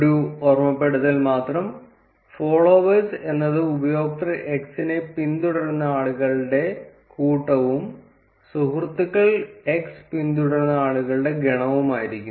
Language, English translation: Malayalam, Just a reminder, followers would be the set of people who are following user x and friends would be the set of people who x follows